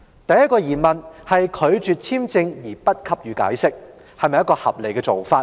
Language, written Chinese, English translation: Cantonese, 第一個疑問是拒絕發出簽證而不給予解釋，是否合理的做法？, First is it reasonable to refuse the grating of a visa without giving any explanation?